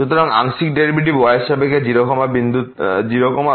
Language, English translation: Bengali, So, the partial derivative with respect to at 0 0 is 0